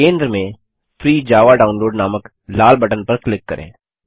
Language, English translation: Hindi, Click on the Red button in the centre that says Free Java Download